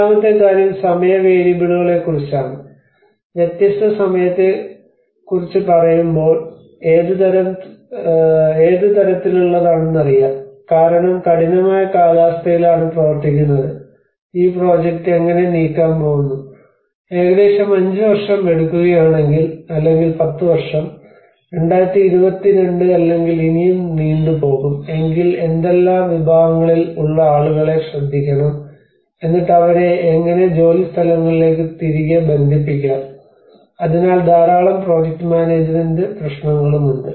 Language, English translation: Malayalam, And the second thing is about the time variables, when we say about the time various you know what kind of because we are working in a harsh weather conditions and how we are going to move this project let us say if you are taking about 5 year, 10 year, 2022 if you want to move it up then what segment of the people we have to take care and then how to connect them again back to the workplaces so there is a lot of project management issues as well